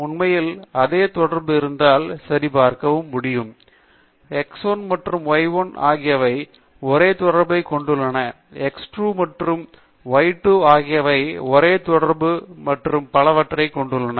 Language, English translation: Tamil, In fact, you can also check if they have the same correlation; that is x 1 and y 1 have the same correlation, x 2 and y 2 have the same correlation and so on